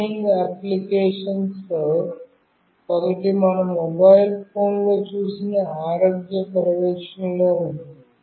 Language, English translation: Telugu, One of the burning applications is in health monitoring that we have seen in our mobile phones